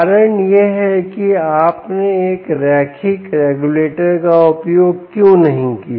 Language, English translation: Hindi, the reason is: why did you not use a linear regulator